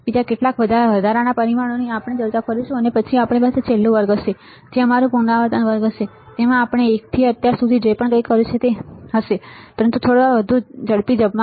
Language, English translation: Gujarati, Few other additional parameters we will discuss and then we will have a last lecture, which will our recall lecture which will consist of whatever we have done from class one till now, but in a little bit faster mode